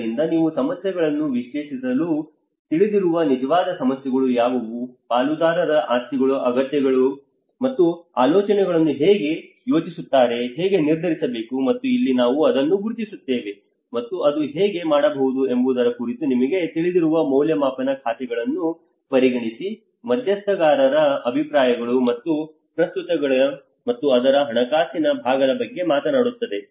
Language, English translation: Kannada, Identification so here we will identity what are the real problems you know analyse the problems, what are the needs in the stakeholder interest, how they project ideas, how to decide on, and this is where the appraisal you know it talks about how it can consider the accounts of stakeholder views and relevances and it talks about the finance part of it